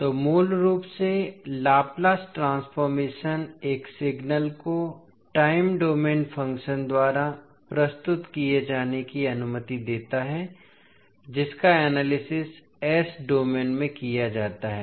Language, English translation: Hindi, So, basically the Laplace transform allows a signal represented by a time domain function to be analyzed in the s domain